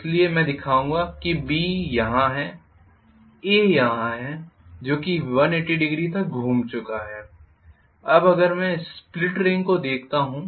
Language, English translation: Hindi, So I would rather show B is here A is here which has rotated by 180 degrees now if I look at the split ring